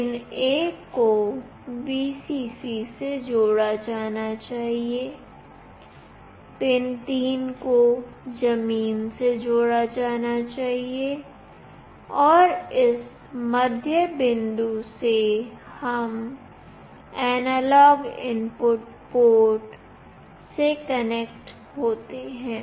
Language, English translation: Hindi, Pin 1 should be connected to Vcc, pin 3 must be connected to ground, and from this middle point, we connect to the analog input port